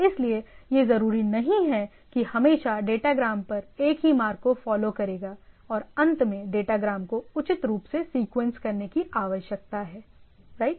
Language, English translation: Hindi, So, it is not necessarily that always the datagram will follow the same path and at the end the datagram need to be appropriately sequenced right